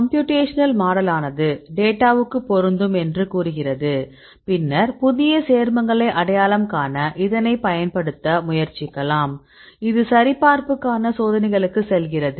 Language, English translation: Tamil, So, here this is the computational model say fit the data, then we try to use the model right to identify new compounds and the new compounds again this go back to the experiments for verification